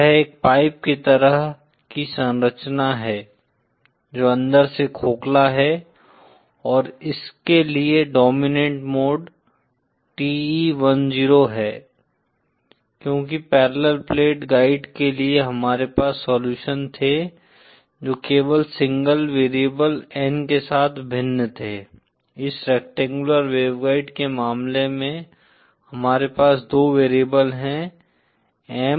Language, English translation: Hindi, It is a pipe like structure which is hollow inside and the dominant mode for this is TE10 that is because whereas for the parallel plate guide we had solutions that varied only with the single variable N, in the case of this rectangular waveguide, we have two variables M and N